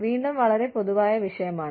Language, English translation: Malayalam, Again, very general topic